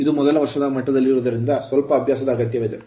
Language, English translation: Kannada, Because it is a first year level, so little bit little bit practice is necessary right